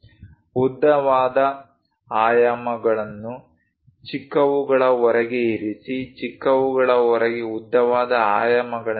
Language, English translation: Kannada, Place longer dimensions outside the shorter ones; longer dimensions outside the shorter ones